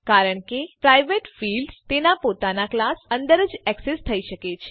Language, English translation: Gujarati, This is because private fields can be accessed only within its own class